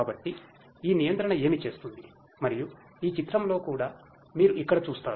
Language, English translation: Telugu, So, this is what this controller does and this is what you see over here in this picture as well